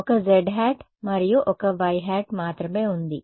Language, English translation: Telugu, There is only a z hat and a y hat right